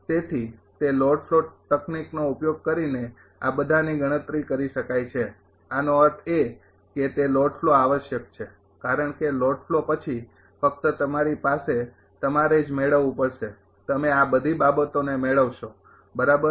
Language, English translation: Gujarati, So, all this can be computed using that load flow technique; that means, that load flow is require because after load flow only you have to you will you have to gain you will get all this things right